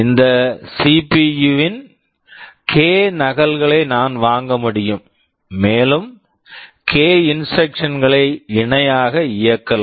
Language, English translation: Tamil, I can buy k copies of this CPU, and run k instructions in parallel